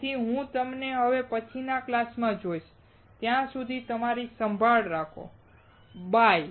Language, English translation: Gujarati, So, I will see you in the next class, till then you take care of yourself, bye